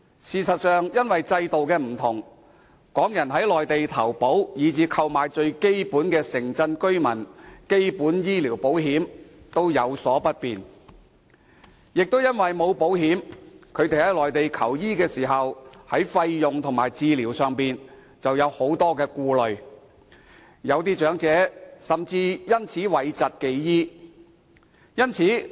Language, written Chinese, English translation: Cantonese, 事實上，由於制度不同，港人在內地投保或購買最基本的城鎮居民基本醫療保險均有所不便，而因為沒有保險，他們在內地求醫時，對於費用及治療便有很多顧慮，有些長者甚至因而諱疾忌醫。, In fact due to the difference between the two systems it is inconvenient for Hong Kong people to take out insurance or purchase the very basic Urban Resident Basic Medical Insurance . As they are not being insured they will worry a lot about the fees and the treatment while seeking medical consultation in the Mainland . Some elderly persons even avoid receiving any medical treatment for this reason